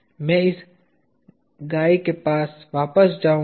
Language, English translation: Hindi, I will go back to this guy